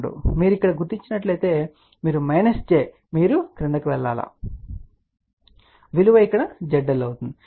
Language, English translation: Telugu, 2 you locate here you have 2 minus Z you go down and that is value is over here Z L